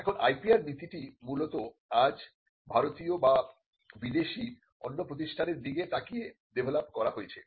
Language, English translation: Bengali, Now the IPR policy is largely today developed looking at other institutions either Indian or foreign